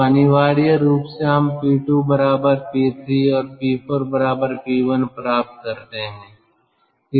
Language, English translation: Hindi, so essentially we get: p two is equal to p three and p four is equal to p one